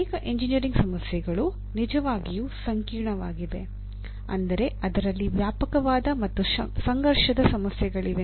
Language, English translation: Kannada, So many engineering problems are really complex in the sense you have wide ranging as well as conflicting issues that come in